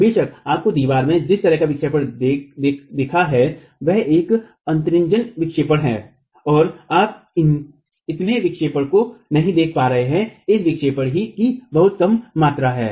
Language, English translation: Hindi, Of course the kind of deflection that you see in the wall is an exaggerated deflection and you are not going to be able to see so much of deflection